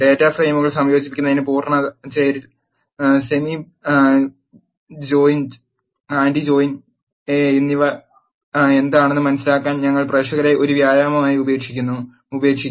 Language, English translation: Malayalam, We will leave the audience as an exercise, to understand what full join, semi join and anti join does in combining the data frames